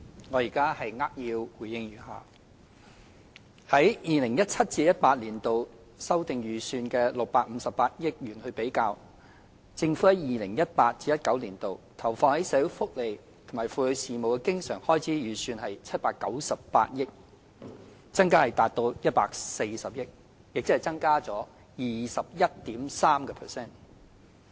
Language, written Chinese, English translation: Cantonese, 我現在扼要回應如下：與 2017-2018 年度修訂預算的658億元比較，政府在 2018-2019 年度投放於社會福利及婦女事務的經常開支預算為798億元，增加達140億元，即增加 21.3%。, I will give a concise response as follows . Compared with the 65.8 billion of revised estimate in 2017 - 2018 the estimated recurrent expenditure allocated by the Government to social welfare and woman matters rose to 79.8 billion representing an increase of 14 billion or 21.3 %